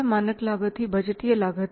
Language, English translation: Hindi, Standard cost means the budgeted cost